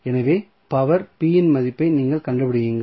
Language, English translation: Tamil, So, you will find out the value of power p